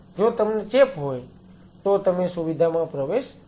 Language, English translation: Gujarati, If you have infections do not get another facility